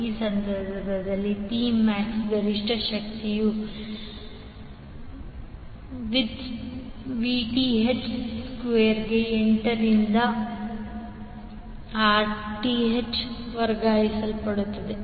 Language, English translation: Kannada, In this case P max the maximum power which would be transferred would be equal to Vth square by 8 into Rth